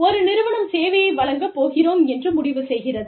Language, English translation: Tamil, One company decided, that we are going to offer service